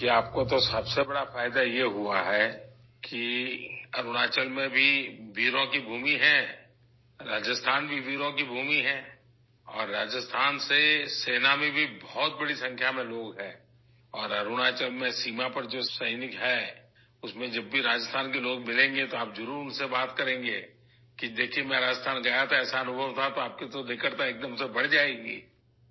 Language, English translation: Urdu, See, the biggest advantage you have got is thatArunachal is also a land of brave hearts, Rajasthan is also a land of brave hearts and there are a large number of people from Rajasthan in the army, and whenever you meet people from Rajasthan among the soldiers on the border in Arunachal, you can definitely speak with them, that you had gone to Rajasthan,… had such an experience…after that your closeness with them will increase instantly